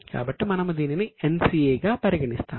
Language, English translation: Telugu, So, we will consider it as NCA